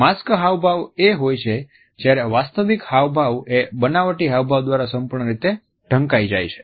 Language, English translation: Gujarati, A masked expression is when a genuine expression is completely masked by a falsified expression